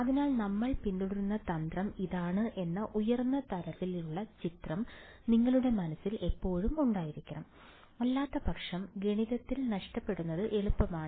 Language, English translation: Malayalam, So, you should always have this high level picture in that mind that this is the strategy, that we are following otherwise, its easy to get lost in math all right clear